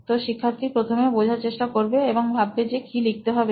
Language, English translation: Bengali, So the student comprehending and coming to an understanding of what needs to be written